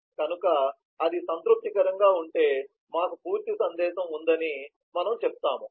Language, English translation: Telugu, so if that is satisfied, then we say we have a complete message